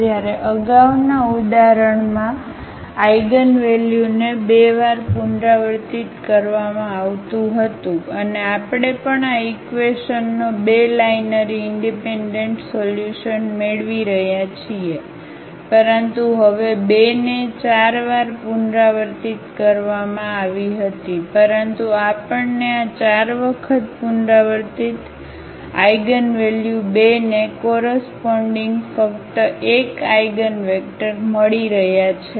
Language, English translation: Gujarati, Whereas, in the previous example the eigenvalue was repeated two times and we were also getting two linearly independent solution of this equation, but now though the 2 was repeated 4 times, but we are getting only 1 eigenvector corresponding to this 4 times repeated eigenvalue 2